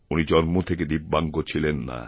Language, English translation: Bengali, And, he was not born a DIVYANG